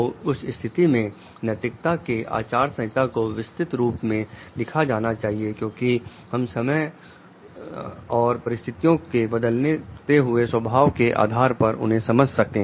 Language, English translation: Hindi, So, in that case like the a codes of ethics should be written in very details with all because from we can understand like with the changing nature of time and situations